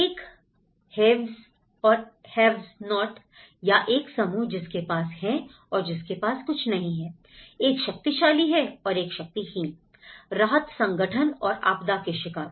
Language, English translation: Hindi, One is the haves and the have nots, the powerful and the powerless, the relief organizations and the victims of the disaster